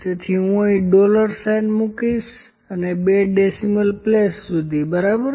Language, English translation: Gujarati, So, let me just put dollar sign here enter and up to two places of decimal, ok